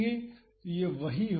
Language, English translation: Hindi, So, that would be this